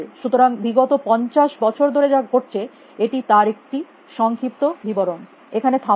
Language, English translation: Bengali, So, this a very brief history of what has been happening in the last 50 years, will stop here